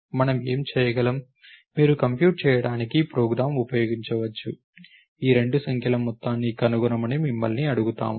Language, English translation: Telugu, So, what we can do is you can use when you are writing a program to compute let us say, you are asked to find out sum of these two numbers